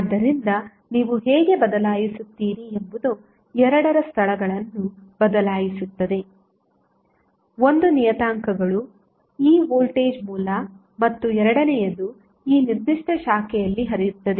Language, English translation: Kannada, So, how you will replace you will just switch the locations of both of the, the parameters 1 is E that is voltage source and second is current flowing in this particular branch